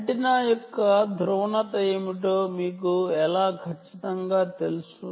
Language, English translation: Telugu, right, how are you sure what is the polarization of the antenna